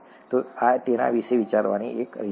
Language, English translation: Gujarati, So this is one way of thinking about it